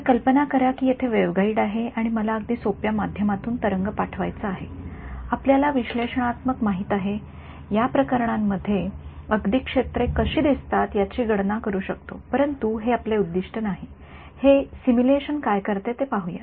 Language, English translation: Marathi, So, imagine there is waveguide I want to send wave through very simple we know analytically in these cases we can even analytically calculate what the fields look like, but that is not our objective let us see what this simulation does